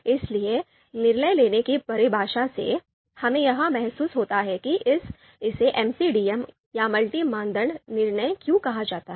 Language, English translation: Hindi, So from the definition of decision making itself, we get this feel of the multi criteria and why it is called MCDM, multi criteria decision making